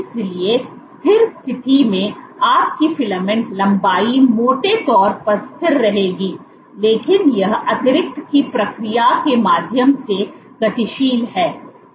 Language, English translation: Hindi, So, in steady state, your filament length will roughly remain constant, but dynamics, but it is dynamic right the process of addition